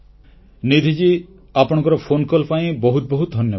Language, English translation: Odia, Nidhi ji, many thanks for your phone call